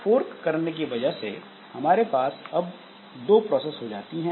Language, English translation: Hindi, So, what this fork does is that it creates two processes